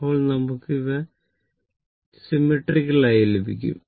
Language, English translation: Malayalam, So, this is symmetrical wave form